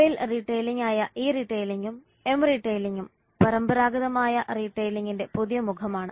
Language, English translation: Malayalam, E retailing and M retailing that is mobile retailing are the new phase of traditional retailing